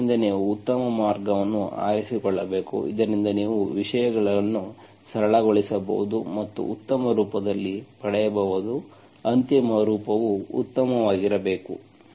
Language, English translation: Kannada, So you have to choose the best way so that you can simplify things and get in a good form, final form should be nicer